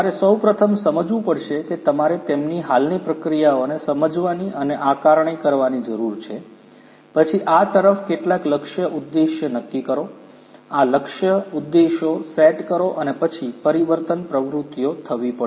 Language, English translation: Gujarati, You first understand you need to understand and assess their existing processes, then set up some target objectives towards this adoption, set up these target objectives and then transformation activities will have to take place